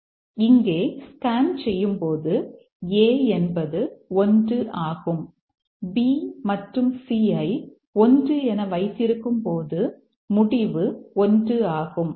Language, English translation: Tamil, Now as we scan through here, A is 1 when B is C held at 1, result is 1